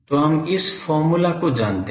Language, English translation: Hindi, So, we know this expression